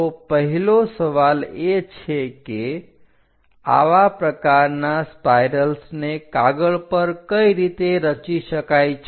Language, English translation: Gujarati, So, the first question is how to construct such kind of spirals on sheets